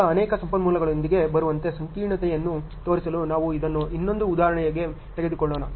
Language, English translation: Kannada, Now, let us take this another example in order to show the complexity with many resources coming in ok